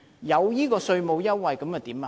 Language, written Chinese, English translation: Cantonese, 有稅務優惠又如何？, What will happen if there is a tax waiver?